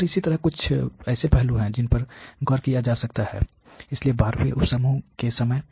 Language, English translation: Hindi, And similarly there are certain aspects which can be noticed, so at the time of the 12th sub group